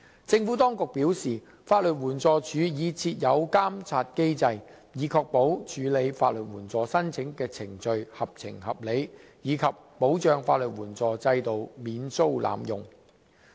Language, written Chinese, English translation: Cantonese, 政府當局表示，法律援助署已設有監察機制，以確保處理法律援助申請的程序合情合理，以及保障法律援助制度免遭濫用。, The Administration states that LAD has put in place a monitoring mechanism to ensure that the processing of legal aid applications is reasonable and safeguards against abuse of legal aid